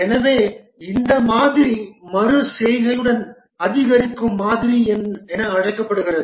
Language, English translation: Tamil, So this model is called as incremental model with iteration